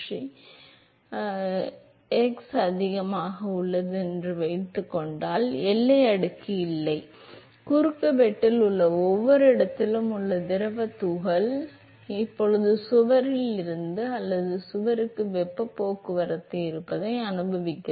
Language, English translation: Tamil, So, supposing I have a x greater than the fully developed location, is no boundary layer because fluid particle at every location in the cross section is now experiencing the presence of heat transport from the wall or to the wall